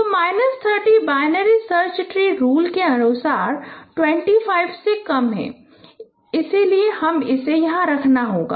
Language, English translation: Hindi, So minus 30 is less than 25 according to the binary search tree rule